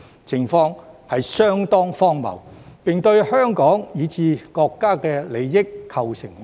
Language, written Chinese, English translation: Cantonese, 這情況相當荒謬，並對香港以至國家的利益構成威脅。, This situation is pretty ridiculous and poses threats to the interests of Hong Kong and the country